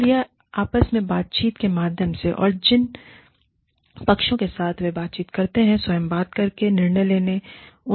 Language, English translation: Hindi, So, through a dialogue between themselves, and the parties with whom, they interact